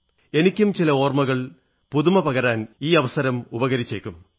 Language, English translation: Malayalam, I too will get an opportunity to refresh a few memories